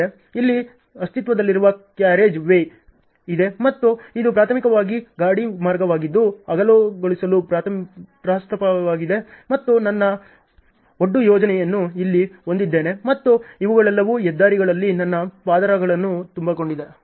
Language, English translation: Kannada, There is an existing carriageway here and this is primarily the carriageway which is proposed for widening and I have my embankment plan to be here and these are all the levels with which I have to fill my layers on the highways ok